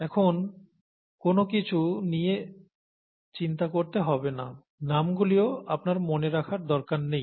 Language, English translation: Bengali, DonÕt worry about anything else for now, you donÕt have to remember any names, donÕt worry about it